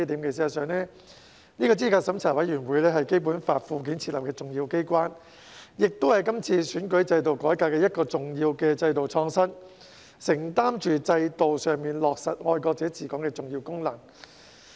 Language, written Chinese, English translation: Cantonese, 事實上，資審會是《基本法》附件設立的重要機關，也是今次選舉制度改革的一項重要的制度創新，承擔着在制度上落實"愛國者治港"的重要功能。, In fact CERC is an important organization the establishment of which is provided for in the Annexes to the Basic Law . It is a major institutional innovation in this reform of the electoral system performing the crucial function of implementing patriots administering Hong Kong institutionally